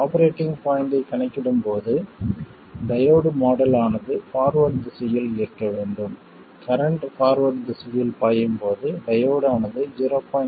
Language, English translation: Tamil, And while calculating the operating point, we take the diode model to be where in the forward direction, when current is flowing in the forward direction, the diode has a voltage of